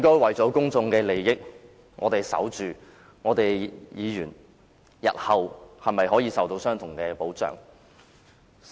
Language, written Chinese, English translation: Cantonese, 為了公眾利益，我們是否應該捍衞議員日後可以得到相同的保障呢？, For the sake of public interests shouldnt we strive to ensure that Members can receive the same protection in the future?